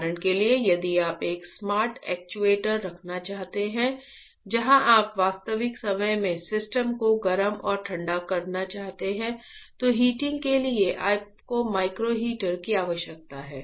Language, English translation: Hindi, For example, if you want to have a smart actuator where you want to heat and cool the system right in real time, so for heating then you require a micro heater alright